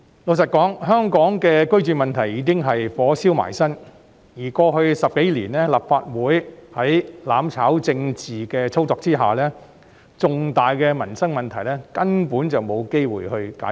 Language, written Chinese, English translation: Cantonese, 老實說，香港的居住問題已是"火燒埋身"，而過去10多年，立法會在"攬炒"政治的操作下，重大的民生問題根本沒有機會得到解決。, Frankly speaking Hong Kong is already knee - deep in the housing problem . And over the past 10 years or so the Legislative Council amidst the political manoeuvre of mutual destruction major livelihood issues had absolutely no chance to be resolved